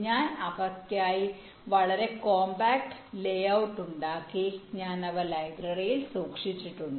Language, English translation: Malayalam, i have created a very compact layout for them and i have stored them in the library